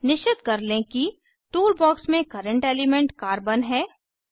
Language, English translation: Hindi, In the Tool box, ensure that Current element is Carbon